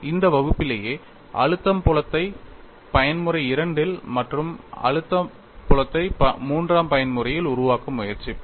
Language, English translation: Tamil, In this class itself, we will try to develop the stress field in mode 2 as well as stress field in mode 3